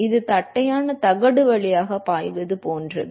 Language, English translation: Tamil, That is like flowing past flat plate